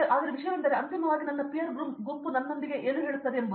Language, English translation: Kannada, But the thing is that ultimately whatever especially what my peer group says to me